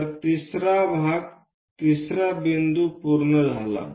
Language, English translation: Marathi, So, 3rd part 3rd point is done